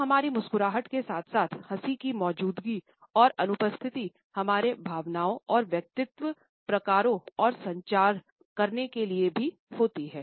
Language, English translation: Hindi, So, our smiles as well as laughter the presence and absence of these also matter in order to communicate our emotions and personality types